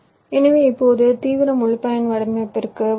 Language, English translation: Tamil, so now let us come to the extreme: full custom design